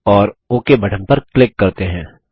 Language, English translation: Hindi, And let us click on the Ok button